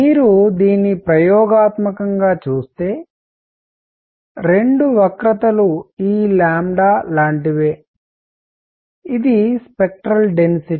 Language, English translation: Telugu, If you see it experimentally, the two curve is something like this, this is lambda, this is spectral density